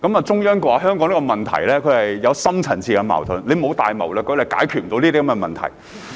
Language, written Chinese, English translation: Cantonese, 中央說香港的問題有深層次矛盾，沒有大謀略就解決不了這些問題。, The Central Authorities said that deep - rooted conflicts underlay Hong Kongs problems which could not be solved without great strategies